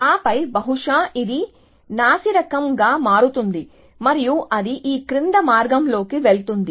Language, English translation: Telugu, And then maybe, this will become worst and then it will go down this path